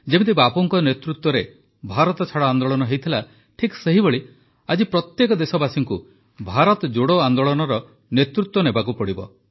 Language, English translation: Odia, Just the way the Quit India Movement, Bharat Chhoro Andolan steered under Bapu's leadership, every countryman today has to lead a Bharat Jodo Andolan